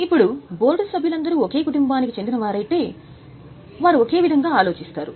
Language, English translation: Telugu, Now, if all the members of board belong to the same family, they would think in the same way